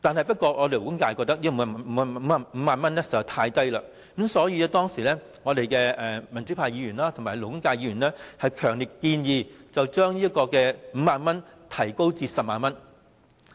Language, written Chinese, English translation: Cantonese, 不過，勞工界認為5萬元實在太少，所以民主派及勞工界的議員強烈建議，將5萬元提高至10萬元。, Nevertheless the labour sector considered the amount too little and so the democrats and Members of the labour sector strongly proposed to raise the amount from 50,000 to 100,000